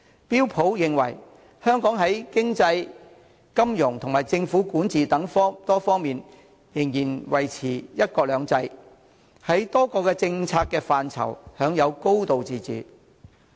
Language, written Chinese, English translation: Cantonese, 標準普爾認為，香港在經濟、金融及政府管治等多方面仍然維持"一國兩制"，在多個政策範疇享有"高度自治"。, According to Standard and Poors one country two systems still holds in Hong Kong in various aspects such as the economy finance and the Governments governance and many policies enjoy a high degree of autonomy